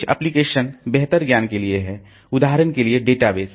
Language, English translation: Hindi, Some applications have better knowledge, for example, databases